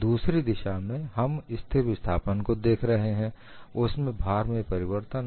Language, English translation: Hindi, In the second case, we were looking at constant displacement; there was a change in the load